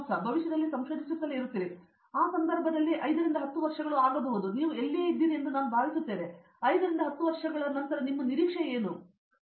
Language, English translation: Kannada, Going forward do you see yourself in future continuing to stay in research and in that context may be say 5 or 10 years from now where do you think you see yourself being, I mean what is your expectation or your anticipation that this is what I think I will be doing say 5 10 years from now